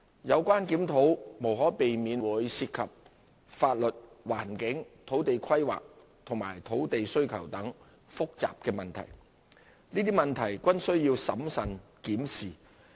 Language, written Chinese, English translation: Cantonese, 有關檢討無可避免會涉及法律、環境、土地規劃及土地需求等複雜問題，這些問題均需要審慎檢視。, Such review will inevitably involve complicated issues in various aspects such as legal environment land use planning and demand on land all of which require careful examination